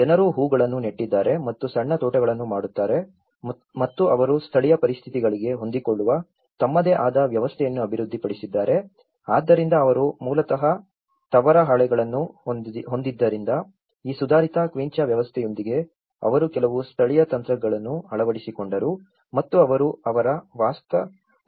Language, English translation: Kannada, One is, people have planted flowers and make the small gardens and they also develop their own system adapted to the local conditions, so because they had tin sheets basically, with this advanced I mean upgraded quincha system, they also adopted certain local techniques and they try to modify their dwellings